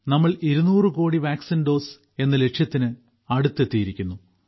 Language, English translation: Malayalam, We have reached close to 200 crore vaccine doses